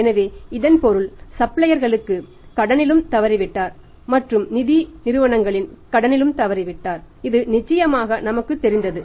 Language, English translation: Tamil, So, it means suppliers credit is also defaulted employees credit is also defaulted and financial institutions certainly and it is very clearly defaulted